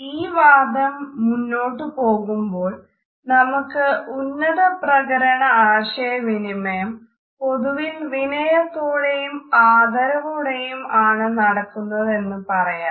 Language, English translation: Malayalam, To continue this argument further, we can say that a high context communication is normally polite and respectful